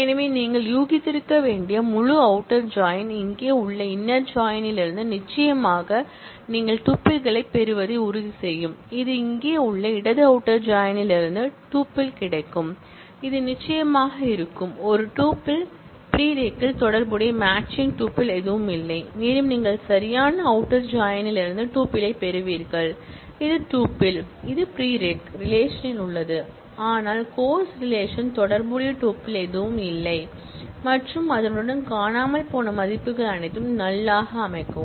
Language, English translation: Tamil, So, full outer join as you must have guessed will ensure that you get certainly the tuples from the inner join, which is here, you will get the tuple from the left outer join that is here, that is a tuple which exists in course and there is no corresponding matching tuple in the prereq and you will also get the tuple from the right outer join, that is for tuple, which exists in the prereq relation, but there is no corresponding tuple in the course relation and corresponding missing values are all set to null